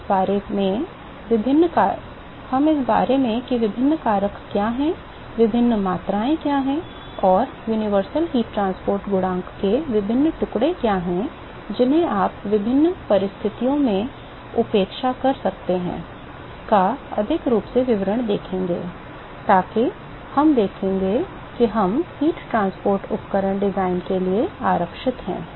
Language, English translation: Hindi, We will see a lot more details about, what are the different factors accounted for, what are the different quantity and; what are the different pieces of the universal heat transport coefficient that you can neglect under different conditions so that we will see we reserve to the heat transport equipment design